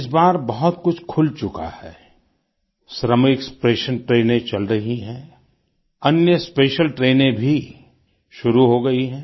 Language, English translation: Hindi, This time around much has resumedShramik special trains are operational; other special trains too have begun